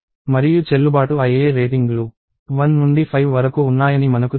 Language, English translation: Telugu, And I know that the valid ratings are one to 5